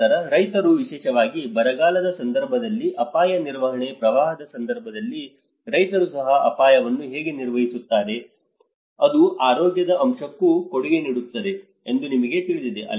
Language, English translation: Kannada, Then, the farmers risk management especially in the event of droughts, even the event of floods, how the farmers also manage the risk, you know that will also have a contribution to the health aspect